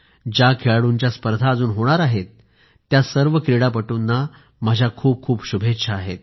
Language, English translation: Marathi, I extend my best wishes to thoseplayers who are yet to compete